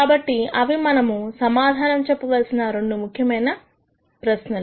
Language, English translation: Telugu, So, those are two important questions that we need to answer